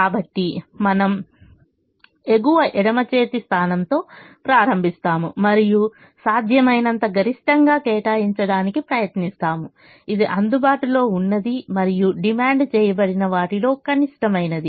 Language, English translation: Telugu, so we start with the top left hand position and we try to allocate whatever maximum possible, which is the minimum of what is available and what is demanded